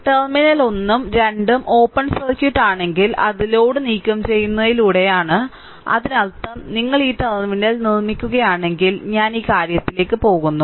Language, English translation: Malayalam, If the terminal 1 and 2 are open circuited that is by removing the load; that means, if you if you make this terminal, I am going to the this thing